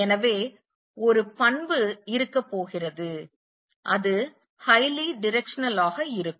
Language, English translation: Tamil, So, one property is going to have is it is highly directional